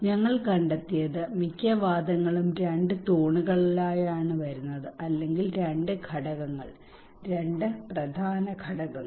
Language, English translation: Malayalam, What we found is that the most of the arguments are coming in two pillars or kind of two components two major components